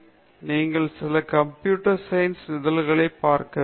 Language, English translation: Tamil, So, you have to look at some computer science journal